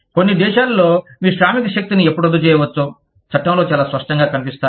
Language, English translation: Telugu, In some countries, the laws will be very clear on, when you can, terminate your workforce